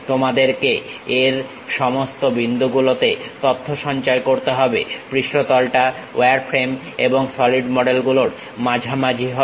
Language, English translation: Bengali, You have to store information at all these points, surface is in between wireframe and solid models